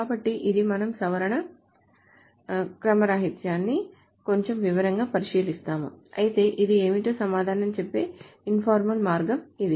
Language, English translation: Telugu, So we will go over this in a little bit more detail, the modification anomaly, but this is the informal way of answering what it is